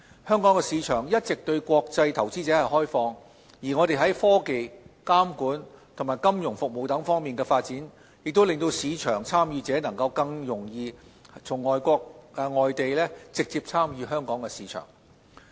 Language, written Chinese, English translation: Cantonese, 香港市場一直對國際投資者開放，而我們在科技、監管及金融服務等方面的發展，亦令市場參與者能夠更容易從外地直接參與香港的市場。, The Hong Kong market has always been open to international investors and our development in technology governance and financial services helps overseas market participants directly involve in the Hong Kong market